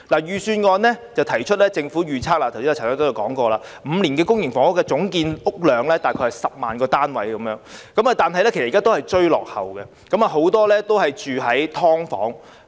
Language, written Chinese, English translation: Cantonese, 預算案提到政府預測未來5年的公營房屋總建屋量大約是10萬個單位，但其實現在仍然是追落後，很多人也居於"劏房"。, In the Budget it is mentioned that according to the Governments forecast the total public housing production in the next five years is about 100 000 units . But actually this level of production is just making up the shortfall and many people are living in subdivided units